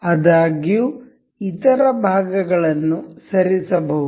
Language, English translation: Kannada, However the other parts can be moved